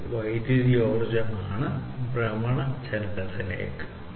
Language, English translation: Malayalam, And this one is electrical energy into rotational motion